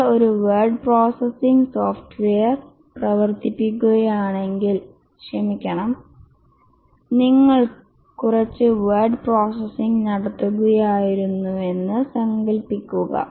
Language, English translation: Malayalam, Just imagine that if you are running a word processing software, sorry, you are doing some word processing and then you developed a hardware for word processing